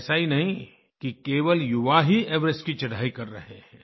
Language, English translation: Hindi, And it's not that only the young are climbing Everest